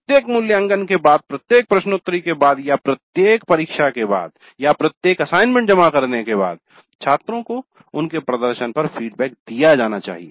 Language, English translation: Hindi, Then we also have the feedback on the student performance provided to the students after every assessment, after every quiz or after every test or every, after the submission of every assignment, feedback is given to the students on their performance